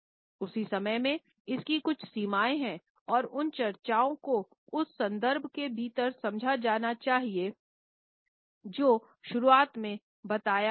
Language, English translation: Hindi, At the same time, there are certain limitations to it and these discussions should be understood within the context which has been specified in the very beginning